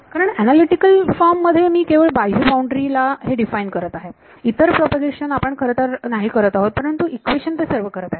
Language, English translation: Marathi, Because in analytical form I am defining it only on the outermost boundary the rest of the propagation which we are not actually doing, but the equations are doing it